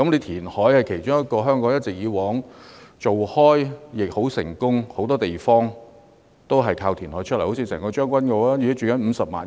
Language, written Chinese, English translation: Cantonese, 填海是香港行之有效的措施，很多地方都是填海得來，例如將軍澳，該地現在居住了50萬人。, Land reclamation has been an effective measure in Hong Kong as many places are created through land reclamation . A case in point is Tseung Kwan O where there are now some 500 000 residents